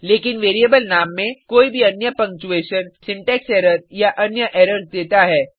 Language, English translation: Hindi, But any other punctuation in a variable name that give an syntax error or other errors